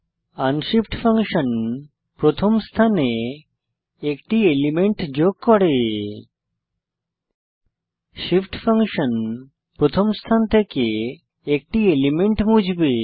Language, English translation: Bengali, unshift function will insert an element at the first position i.e before 1 shift function will remove an element from the first position